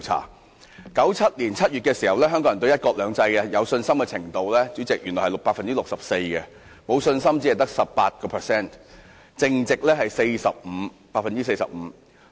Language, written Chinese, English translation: Cantonese, 在1997年7月，香港人對"一國兩制"有信心的比率為 64%， 沒有信心的比率只得 18%， 淨值是 45%。, In July 1997 the percentage of Hong Kong people having confidence in one country two systems was 64 % whereas the percentage of those having no confidence in it was only 18 % with net confidence standing at 45 %